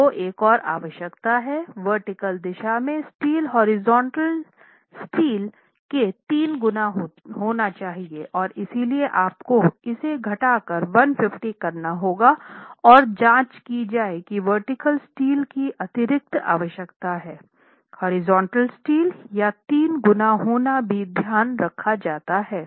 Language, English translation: Hindi, You have another requirement that the horizontal in the vertical, the steel in the vertical direction should be three times that of the horizontal steel and therefore you would have to probably reduce this to 150 and check that the additional requirement of vertical steel being three times that of the horizontal steel is also taken care and the sum of the reinforcement in both the directions would then be